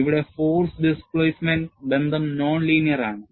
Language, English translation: Malayalam, Here, the force displacement relationship is not linear; it is non linear, in this fashion